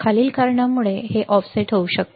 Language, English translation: Marathi, The following can cause this offset